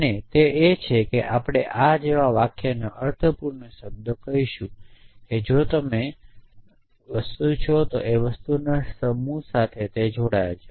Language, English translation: Gujarati, And that is as we will the semantic of sentence like this says that if you have a mortal you either belong to the set of things which are mortal